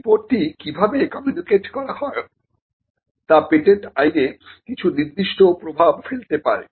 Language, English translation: Bengali, How this report is communicated can have certain implications in patent law